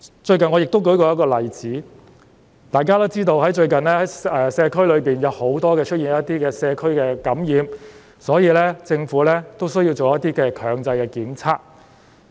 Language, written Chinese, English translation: Cantonese, 最近，我曾舉出一個例子，大家都知道，最近社區內出現很多感染個案，所以，政府需要做一些強制檢測。, Recently I have cited an example . As we all know there have been many infected cases in the community these days so the Government needs to conduct compulsory testing